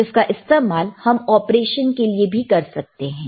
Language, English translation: Hindi, So, it can be used for operation